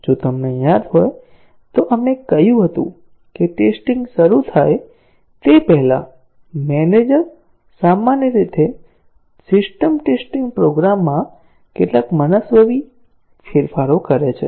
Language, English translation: Gujarati, If you remember, we said that the manager before the testing starts typically the system testing makes several arbitrary changes to the program